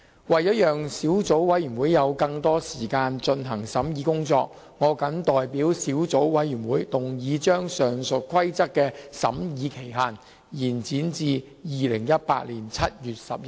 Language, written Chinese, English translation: Cantonese, 為了讓小組委員會有更多時間進行審議工作，我謹代表小組委員會，動議將上述規則的審議期限，延展至2018年7月11日。, In order to allow the Subcommittee more time for scrutiny I move on behalf of the Subcommittee that the scrutiny period of the above Rules be extended to 11 July 2018